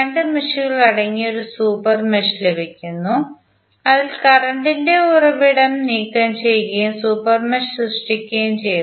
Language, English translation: Malayalam, We get a super mesh which contains two meshes and we have remove the current source and created the super mesh